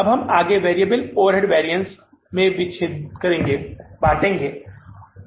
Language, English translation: Hindi, Now we will further dissect into variable overhead variance